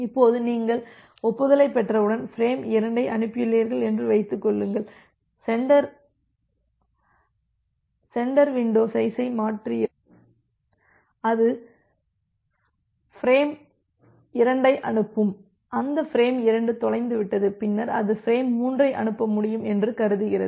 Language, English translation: Tamil, Now, assume that you have transmitted frame 2, once you have got this acknowledgement the sender shifts the window, once the sender shift the window and it has the transmitted frame 2 assume that that frame 2 got lost and then it is able to send frame 3